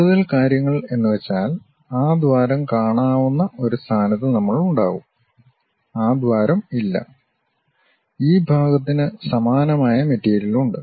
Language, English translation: Malayalam, Here more information in the sense like, we will be in a position to really see that hole, that hole is not there and this portion have the same material as this